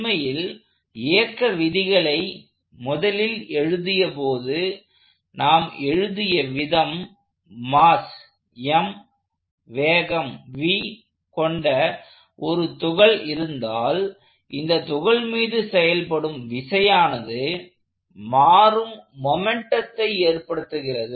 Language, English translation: Tamil, In fact, the way we wrote it when we first wrote down the laws of motion, if I have a particle of mass m that has a velocity v, the force acting on this particle causes a rate of change of momentum